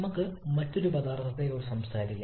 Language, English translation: Malayalam, Let us talk about any other substance